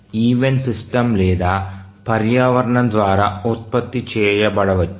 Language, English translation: Telugu, And the event may be either produced by the system or the environment